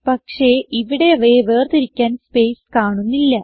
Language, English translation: Malayalam, But there is no space separating them